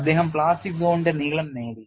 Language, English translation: Malayalam, How we have utilized the plastic zone length